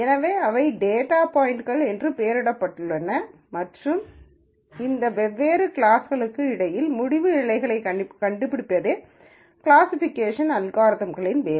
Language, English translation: Tamil, So, these are labelled data points and the classification algorithms job is to actually find decision boundaries between these different classes